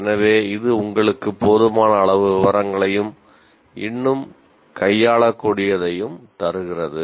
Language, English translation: Tamil, So, this gives you sufficient amount of detail and yet manageable